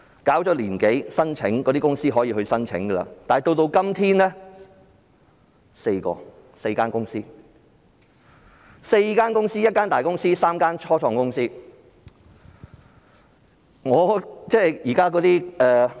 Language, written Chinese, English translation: Cantonese, 搞了一年多，申請的公司可以申請，但直至今天，只有4間公司，包括一間大公司及3間初創公司。, The scheme has been introduced for more than one year for open applications but as of today applications have only been received from four institutions including a large company and three start - up companies